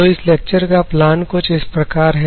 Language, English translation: Hindi, So, the plan of the lecture goes like this